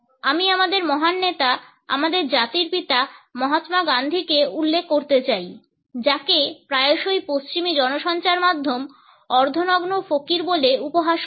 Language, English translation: Bengali, I would like to refer to our great leader, the father of our nation Mahatma Gandhi who was often ridiculed by the western media as the half naked fakir